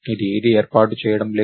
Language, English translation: Telugu, This is not doing anything